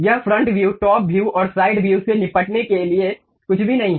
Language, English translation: Hindi, It is nothing to deal with front view, top view and side view